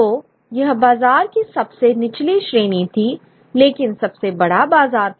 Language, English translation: Hindi, So this is the lowest round of the market, but the largest market